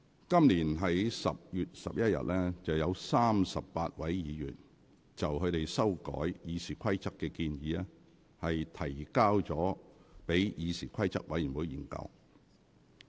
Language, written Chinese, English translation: Cantonese, 今年10月11日，有38位議員就他們修改《議事規則》的建議，提交議事規則委員會研究。, On 11 October this year 38 Members submitted their proposals to amend RoP to the Committee on Rules of Procedure CRoP